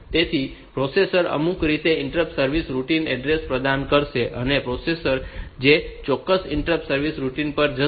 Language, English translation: Gujarati, So, processor in some way it will provide the interrupt service routine address, and the processor will jump to that particular interrupt service routine